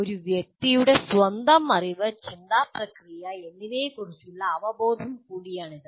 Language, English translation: Malayalam, It is also a person's awareness of his or her own level of knowledge and thought processes